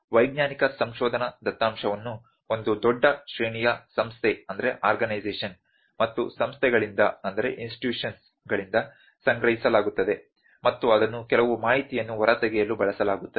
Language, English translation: Kannada, So, in scientific research data is collected by a huge range of organization and institutions and that is used to extract some information